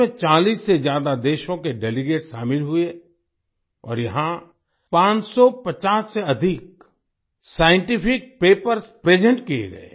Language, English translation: Hindi, Delegates from more than 40 countries participated in it and more than 550 Scientific Papers were presented here